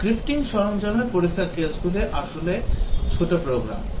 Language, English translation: Bengali, In the scripting tool the test cases are actually small programs